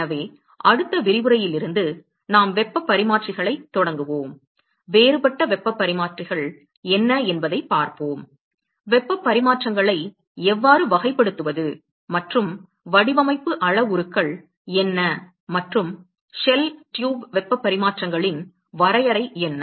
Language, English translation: Tamil, So, from the next lecture; We will start heat exchangers, we will look at what are the difference types of heat exchanges, we will look at how to characterize heat exchanges and what are design parameters and what is definition of shell tube heat exchanges